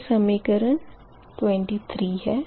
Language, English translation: Hindi, this is equation twenty three, right